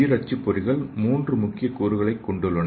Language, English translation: Tamil, So the bio printers have 3 major components so the first one is hardware used